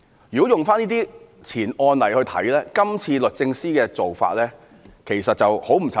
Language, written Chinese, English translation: Cantonese, 如果從這些案例來看，這次律政司的做法其實很不尋常。, If we look at these cases the practice of DoJ this time is actually quite uncommon